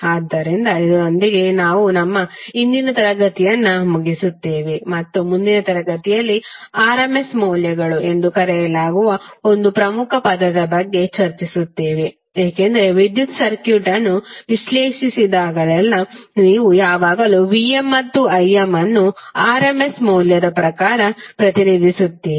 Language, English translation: Kannada, So this we finish our today's class and next class we will discuss about the one of the most important term called RMS values because whenever you analyze the electrical circuit, you will always get the Vm and Im as represented in terms of RMS value